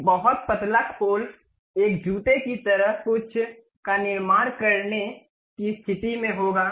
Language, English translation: Hindi, A very thin shell one will be in a position to construct something like a shoe